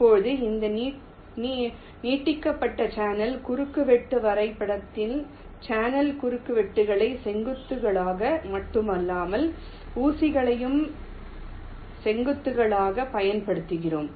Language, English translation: Tamil, now, in this extended channel intersection graph, we use not only the channel intersections as vertices, but also the pins as vertices